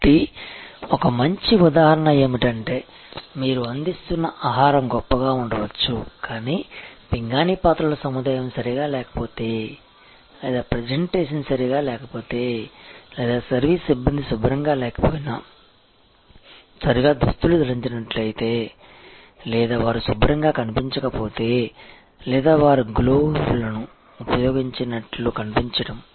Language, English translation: Telugu, So, a good example is that the food that you are serving maybe great, but if the crockery are not proper or the presentation are not proper or if the service personnel are not clean, properly dressed or they do not appear to be clean or they do not appear to be using glows